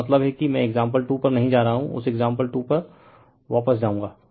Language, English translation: Hindi, So, if you I mean I am not going to the example 2, but we will just go to that go back to that example 2